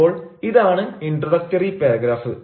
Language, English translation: Malayalam, so this is the introductory paragraph